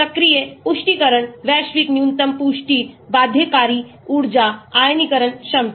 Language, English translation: Hindi, active confirmations, global minimum confirmations, binding energies, ionization potentials